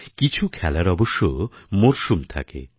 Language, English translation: Bengali, Some games are seasonal